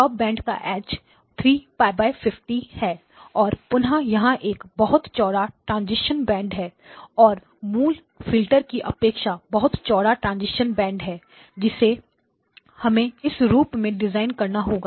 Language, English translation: Hindi, The stopband edge is 3pi divided by 50 again there is a much wider transition band than the original filter that we would have had to design